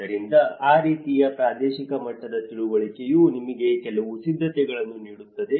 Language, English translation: Kannada, So, in that way a regional level understanding will give you some preparation